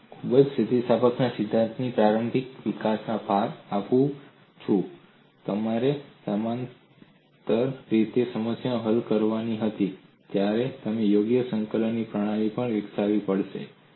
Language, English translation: Gujarati, In the early development of theory of elasticity, when they have to solved a problem parallely they had to develop suitable coordinate system